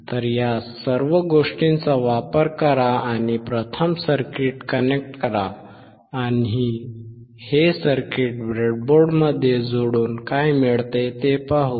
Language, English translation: Marathi, So, use all these things and connect the circuit first and let us see what we get by connecting this circuit in the breadboard